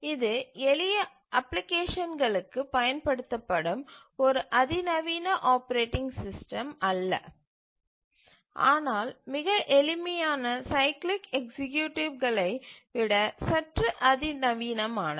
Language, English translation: Tamil, So, this is also not a sophisticated operating system used for simple applications but slightly more sophisticated than the simplest cyclic executives